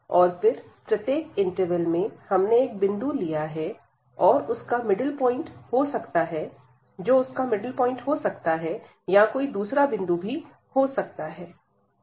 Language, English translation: Hindi, And then in each interval we have taken a point, it could be a middle point or it can be any other point here